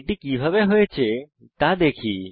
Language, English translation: Bengali, Lets see how it is done